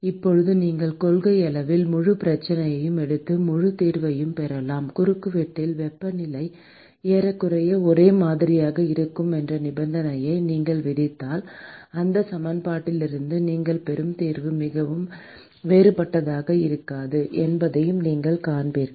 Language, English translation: Tamil, Now you could in principle take the full problem and get the full solution; and you will see that the solution that you will get from this equation will not be very different, if you impose the condition that the temperature is nearly uniform in the cross section